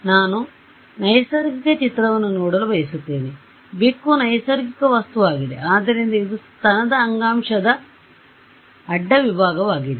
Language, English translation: Kannada, And I am going to look at a natural image right cat is a natural object, so it is also a cross section of breast tissue